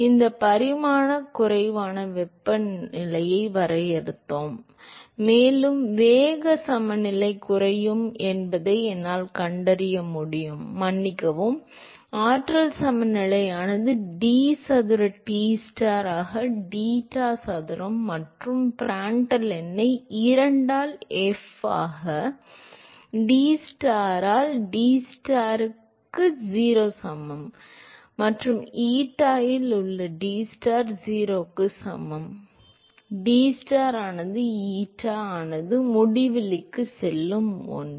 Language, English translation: Tamil, So, defined this dimension less temperature, and I can find that the momentum balance will reduce to; sorry, the energy balance will reduce to d square Tstar by deta square plus Prandtl number by 2 into f into dTstar by deta is equal to 0, and Tstar at eta is equal to 0 is 0 and Tstar as eta going to infinity that is equal to 1